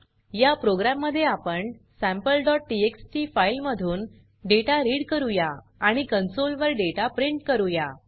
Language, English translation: Marathi, In this program we will read data from our sample.txt file and print the data on the console